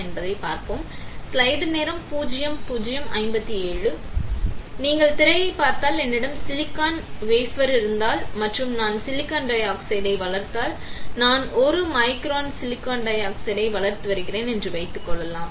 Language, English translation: Tamil, So, if you see the screen the, if I have silicon wafer right and if I grow silicon dioxide; let us say I am growing 1 micron of silicon dioxide